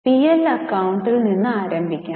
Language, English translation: Malayalam, We will start with the P&L account